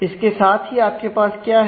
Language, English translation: Hindi, And with that what you have